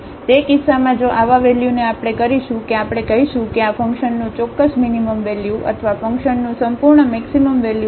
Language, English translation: Gujarati, So, in that case if such a value we will call that we will call that this is the absolute minimum value of the function or the absolute maximum value of the function